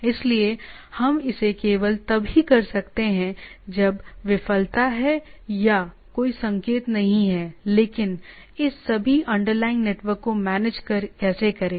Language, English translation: Hindi, So, we can only it is not only when the failure is there signal is not there, but how to manage this all this underlying network